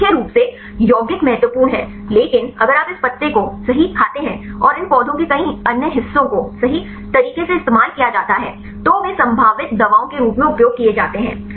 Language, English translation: Hindi, So, mainly the compounds are important, but if you eat this leaves right and several other parts of the of these plants right they are used as a potential drugs